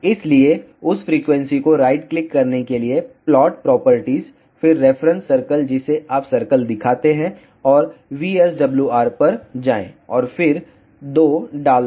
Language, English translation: Hindi, So, to locate that frequency right click plot properties then reference circle you show circle, and go to VSWR and then put 2